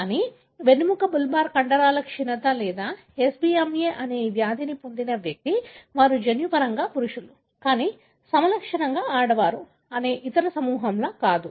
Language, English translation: Telugu, But, an individual who has got this disease that is spinal bulbar muscular atrophy or SBMA, they are not like the other group that is they are genetically male, but phenotypically female